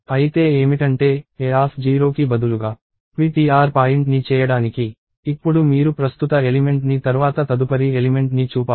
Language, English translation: Telugu, So, what; that means, is, instead of making ptr point at a of 0, now you actually pointed to the next element after the current one